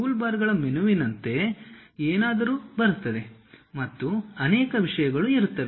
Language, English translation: Kannada, There will be something like toolbars menu and many things will be there